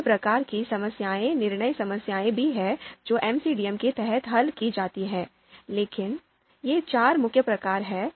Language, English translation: Hindi, There are other types of problems decision problems as well which are solved under MCDM, but these are the four main types